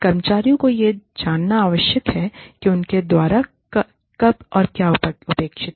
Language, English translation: Hindi, Employees need to know, what is expected of them, by when